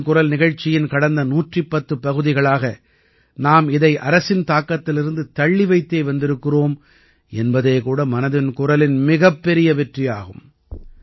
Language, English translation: Tamil, It is a huge success of 'Mann Ki Baat' that in the last 110 episodes, we have kept it away from even the shadow of the government